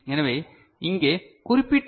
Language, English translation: Tamil, So, this is what is indicated here